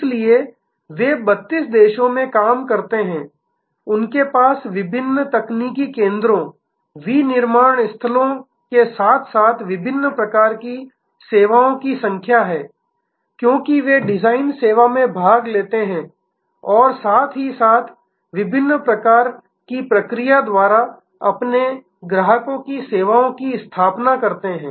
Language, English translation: Hindi, So, they operate in 32 countries, they have number of different technical centers, manufacturing sites as well as different kinds of services, because they participate in the design service as well as different kinds of process set up services of their customers